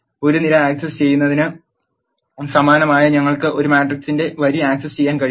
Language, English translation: Malayalam, Similar to accessing a column we can access a row of a matrix